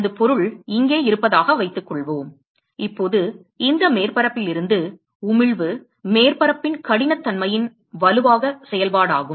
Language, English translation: Tamil, Supposing my object is present here, now the emission from this surface is a strong function of the roughness of the surface